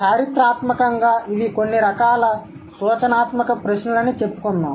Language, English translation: Telugu, These are just some kind of indicative questions